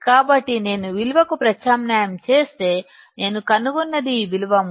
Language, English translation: Telugu, So, if I substitute the value, what I find is 3